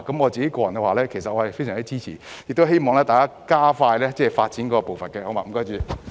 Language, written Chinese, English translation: Cantonese, 我個人非常支持，亦希望政府加快發展步伐。, I personally support these views very much and hope that the Government can speed up the pace of development